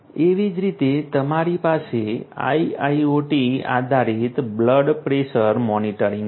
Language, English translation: Gujarati, Similarly, one could have one has we have IIoT based blood pressure monitors